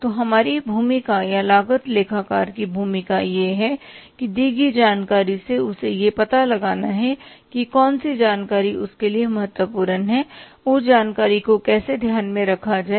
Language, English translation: Hindi, So, our say, role is or as the role of the cost accountant is that to from the given information he has to find out which information is important for him and how to take that information into account